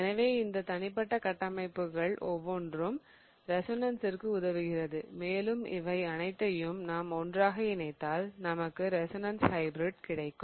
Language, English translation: Tamil, So, each of these individual structures will be termed as a contributing resonance structure and when we combine all of them together what really exists is the resonance hybrid